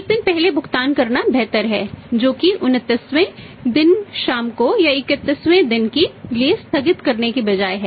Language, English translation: Hindi, It is better to make the payment one day before that is on the 29th day evening or rather than postponing it to the 31st day